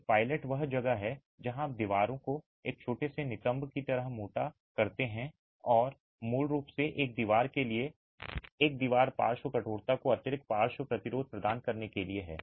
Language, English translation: Hindi, A pilaster is where you have a thickening of the wall like a small buttress and is basically meant to provide a, provide additional lateral resistance to a wall, lateral stiffness to a wall